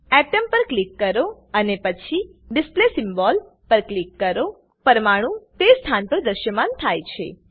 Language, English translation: Gujarati, Select Atom and then click on Display symbol, to display atoms at that position